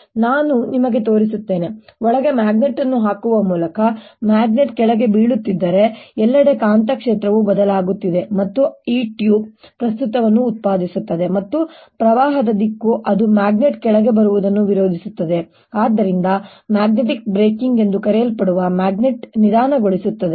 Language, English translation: Kannada, if the magnet is falling down, the magnetic field everywhere is changing and that produces a current in this tube, and the direction of current should be such that it opposes the coming down of the magnet and therefore magnet slows down, what is known as magnetic braking